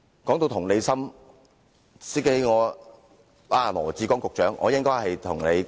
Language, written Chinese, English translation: Cantonese, 談到同理心，我應該與羅致光局長談談同理心。, Talking about empathy I think I should discuss it with Secretary Dr LAW Chi - kwong